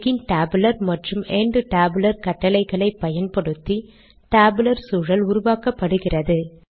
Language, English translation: Tamil, The tabular environment is created using begin tabular and end tabular commands